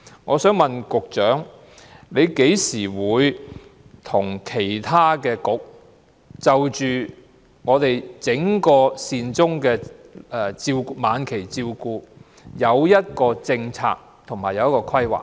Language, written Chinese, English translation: Cantonese, 我想問局長，何時才會聯同其他政策局，商討關於整個晚期善終服務的政策和規劃？, May I ask the Secretary when she will work with other Policy Bureaux to discuss the policy and planning in respect of end - of - life hospice care in a comprehensive manner?